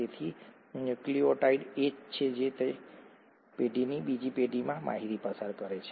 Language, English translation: Gujarati, So that is what a nucleotide is all about and that is what passes on the information from one generation to another